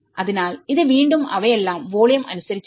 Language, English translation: Malayalam, So, this is again they are all about by volume